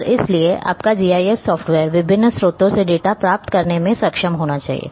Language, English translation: Hindi, And therefore, your GIS software should be capable of receiving data from variety of sources